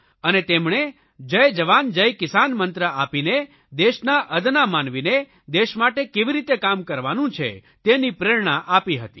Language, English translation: Gujarati, He gave the mantra"Jai Jawan, Jai Kisan" which inspired the common people of the country to work for the nation